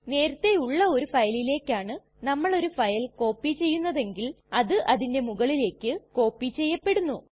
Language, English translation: Malayalam, We have seen if a file is copied to another file that already exists the existing file is overwritten